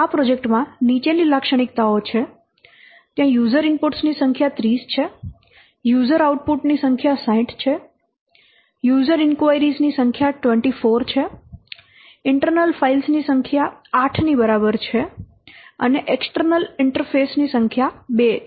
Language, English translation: Gujarati, There are number of user inputs is 30, number of user outputs is 60, number of user inquiries 24, number of files is equal to 8 and number of external interface is 2